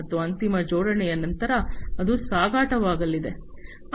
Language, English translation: Kannada, And after final assembly, it will be shipping